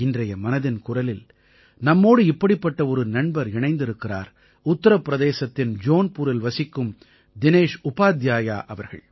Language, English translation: Tamil, Joining us in Mann Ki Baat today is one such friend Shriman Dinesh Upadhyay ji, resident of Jaunpur, U